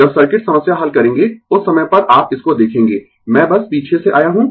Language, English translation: Hindi, When we will solve the circuit problem, at that time you will see into this I just came from the back right